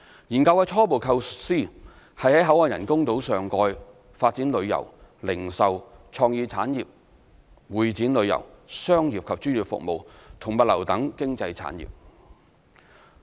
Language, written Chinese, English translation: Cantonese, 研究的初步構思是在口岸人工島上蓋發展旅遊、零售、創意產業、會展旅遊、商業及專業服務和物流等經濟產業。, The initial concept of the study was to develop economic industries such as tourism retail creative industries exhibition tourism commercial and professional services as well as logistics on the BCF Island